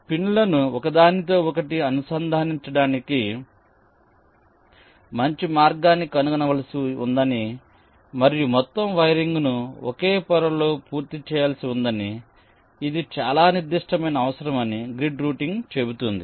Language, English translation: Telugu, grid routing says that we have to find out a good path to interconnect the pins, and the entire wiring has to be completed on a single layer